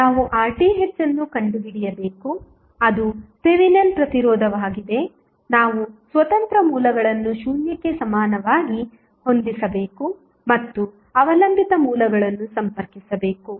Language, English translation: Kannada, We have to find R Th that is Thevenin resistance we have to set the independent sources equal to zero and leave the dependent sources connected